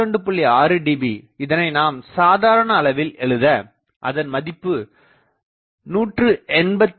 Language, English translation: Tamil, 6 dB, that if I put to absolute thing it is 181